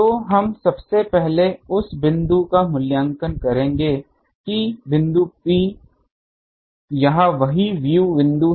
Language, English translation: Hindi, So, we will first evaluate the field that point P this is the same view point